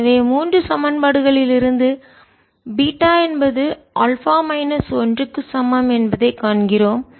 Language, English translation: Tamil, so from equations three we see that beta is equal to alpha minus one